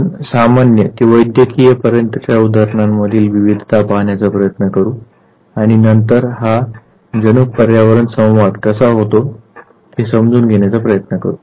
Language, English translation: Marathi, We will try to take variations of examples right from normal to clinical staff and then try to understand how this gene environment interaction takes place